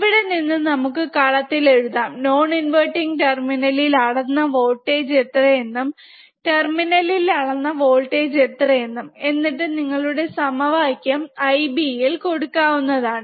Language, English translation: Malayalam, So, from here we can write whatever the voltage we measured in this column, at non inverting terminal whatever voltage we have measured here in the in terminal which is inverting, then we can put this voltage in this particular equation which is your I B plus